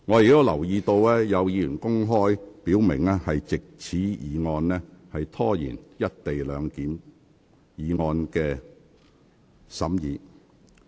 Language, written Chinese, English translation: Cantonese, 我留意到，有議員已公開表明藉這項議案拖延審議"一地兩檢"議案。, I notice that some Members have publicly stated that they intended to stall through this motion the deliberation of the motion on the co - location arrangement